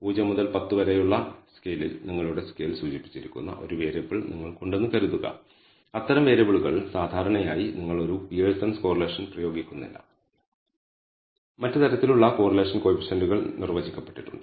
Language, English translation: Malayalam, So, suppose you have a variable where you have indicated your scale on a scale of say 0 to 10 the let us say the course the those kind of variables are typically you do not apply a Pearson’s correlation there are other kinds of correlation coefficients defined for what we call ranked or ordered variable ordinal variables